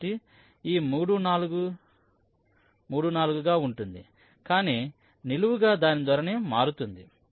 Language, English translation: Telugu, so this three, four will remain three, four, but vertically its orientation will get changed